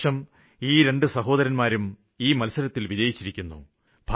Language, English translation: Malayalam, This year both these brothers have won this race